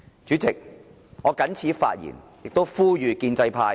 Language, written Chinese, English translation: Cantonese, 主席，我謹此發言，亦呼籲建制派回頭事岸。, With these remarks President I urge the pro - establishment camp to turn around before it is too late